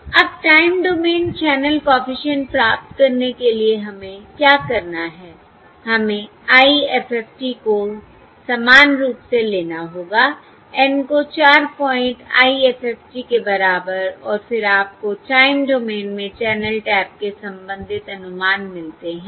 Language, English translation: Hindi, Now to get the time domain channel coefficients, what paved we have to do is we have to take the IFFT, similarly the N equal to 4, point IFFT, and then you get the corresponding estimates of the channel taps in the time domain